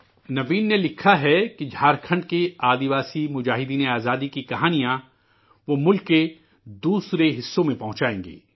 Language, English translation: Urdu, Naveen has written that he will disseminate stories of the tribal freedom fighters of Jharkhand to other parts of the country